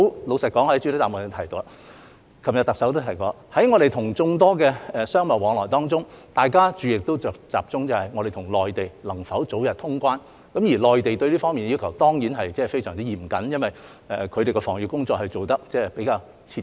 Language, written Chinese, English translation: Cantonese, 老實說，我在主體答覆中提及，特首昨天也提到，在眾多商貿往來當中，大家的注意力均集中於香港跟內地能否早日通關，而內地對這方面的要求當然非常嚴謹，因為他們的防疫工作做得比較徹底。, Frankly speaking as I mentioned in the main reply and as the Chief Executive also mentioned yesterday in the midst of numerous business exchanges our attention is all on the possibility of early resumption of normal traveller clearance between Hong Kong and the Mainland whereas the Mainland is certainly very strict in this regard as evidenced by the more thorough job they have done in epidemic prevention